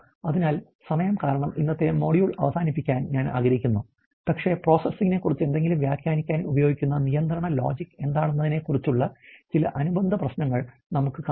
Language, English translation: Malayalam, So, having in said that I will probably like to close on today’s module in the interest of time, but we will go head and see some of the associated issues about what is the control logic that is use to interpret something about the process